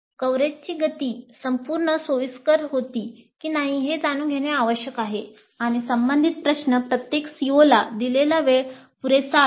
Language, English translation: Marathi, So it is essential to know whether the pace of coverage was comfortable throughout and the related question, time devoted to each COO was quite adequate